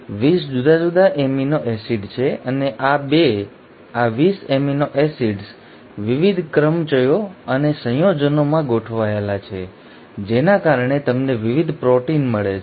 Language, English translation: Gujarati, There are 20 different amino acids and these 20 amino acids arranged in different permutations and combinations because of which you get different proteins